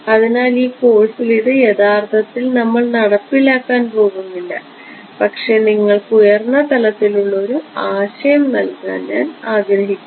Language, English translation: Malayalam, So, we are not actually going to implement this in this course, but I just want to give you the high level idea